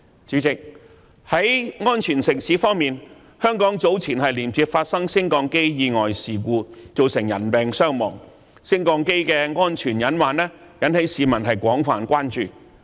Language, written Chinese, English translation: Cantonese, 主席，在安全城市方面，香港早前接連發生升降機意外事故，造成人命傷亡，升降機的安全隱患引起市民的廣泛關注。, President on the development of a safe city the recent successive lift accidents in Hong Kong involving casualties have aroused widespread public concern about potential lift safety hazards